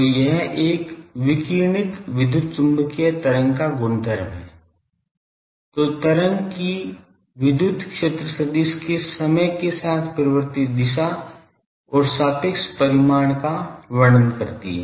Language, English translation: Hindi, So, it is that property of a radiated electromagnetic wave, which describes the time varying direction and relative magnitude of the electric field vector of the wave